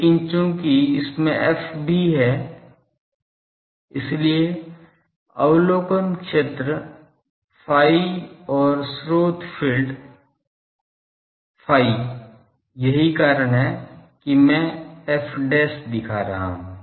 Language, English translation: Hindi, But, since there is also phi so, the observation field phi and source field phi that is why I am showing phi dash